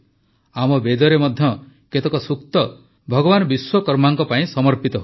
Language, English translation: Odia, Our Vedas have also dedicated many sookta to Bhagwan Vishwakarma